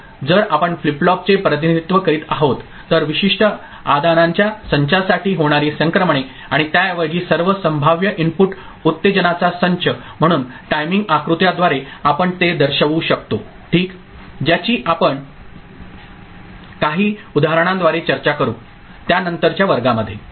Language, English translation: Marathi, So, if we represent the flip flop, the transitions that are happening for a particular set of inputs and, rather all possible set of inputs excitation so, through timing diagram we can show it ok, that we shall discuss through some examples in some subsequent classes